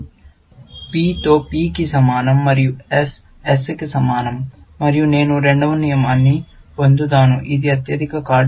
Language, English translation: Telugu, With all that P equal to P, and S equal to S, and I will get the second rule, which is highest card